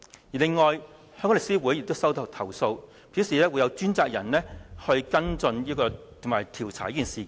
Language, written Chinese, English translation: Cantonese, 此外，香港律師公會也接獲投訴，公會表示會有專責人員跟進和調查這事件。, Moreover The Law Society of Hong Kong said that dedicated officers are tasked to follow and investigate the incident upon receiving the relevant